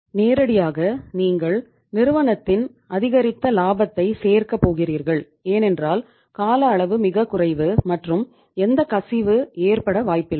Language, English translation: Tamil, Directly you are going to add up into the increased profitability of the firm because time period is very short and there is no possibility of any leakage